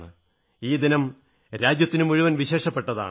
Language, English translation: Malayalam, This day is special for the whole country